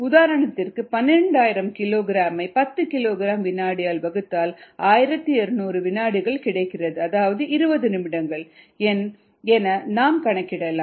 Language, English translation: Tamil, for example, twelve thousand ah kilogram by ten kilogram per second gives you twelve ah by thousand two hundred seconds, which is twenty minutes, and so on